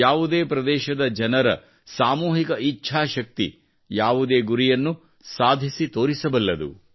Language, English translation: Kannada, The collective will of the people of a region can achieve any goal